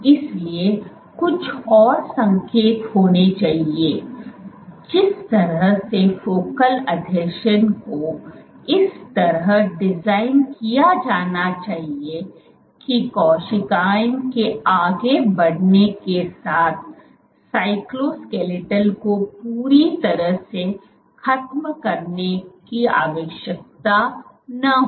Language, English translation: Hindi, So, there must be some other signal the way that focal adhesions must be designed must be such that so the design; must be such that cytoskeletal does not need to be fully dismantled as cells move ok